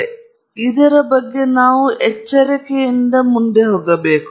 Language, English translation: Kannada, So, therefore, we need to be careful